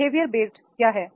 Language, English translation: Hindi, What is the behavior based